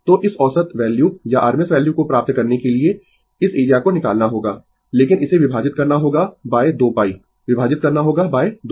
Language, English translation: Hindi, So, you have to find out this area to get this average value or rms value, but you have to divide it by 2 pi you have to divide this by 2 pi